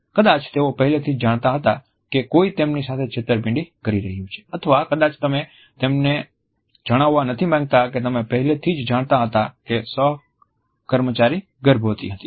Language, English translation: Gujarati, Maybe they already knew that someone was cheating on them or maybe you do not want them to know you already knew a co worker was pregnant